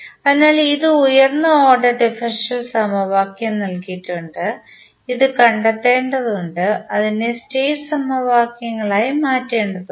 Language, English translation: Malayalam, So, this is the higher order differential equation is given we need to find this, we need to convert it into the state equations